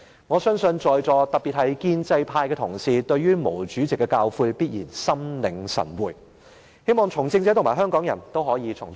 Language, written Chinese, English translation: Cantonese, "我相信在座各位，特別是建制派同事，對於毛主席的教誨必然心領神會，我也希望從政者和香港人可以從中得到體會。, I believe all Members here especially pro - establishment colleagues thoroughly understand the teaching of Chairman MAO and I also hope that those engaged in politics and Hong Kong people would be able to learn something from it